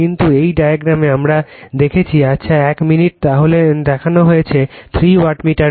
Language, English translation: Bengali, But in this diagram , in this diagram I have shown just one minute I have , shown this is your , three wattmeters , right